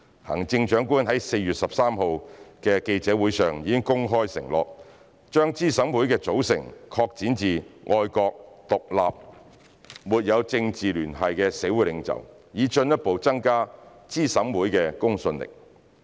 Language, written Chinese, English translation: Cantonese, 行政長官於4月13日的記者會上已公開承諾，把資審會的組成擴展至愛國、獨立和沒有政治聯繫的社會領袖，以進一步增加資審會的公信力。, The Chief Executive has publicly undertaken at the press conference on 13 April to extend the composition of CERC to include patriotic independent and apolitical community leaders in order to further increase the credibility of CERC